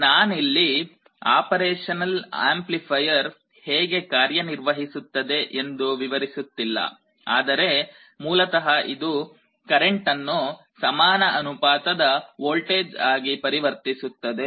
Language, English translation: Kannada, I am not going to the detail how an operational amplifier works, but basically this amplifier converts the current into a proportional voltage